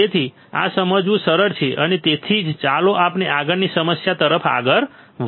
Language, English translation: Gujarati, So, this is easy to understand and that is why let us keep moving on to the next problem